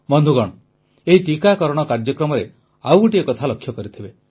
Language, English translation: Odia, in this vaccination Programme, you must have noticed something more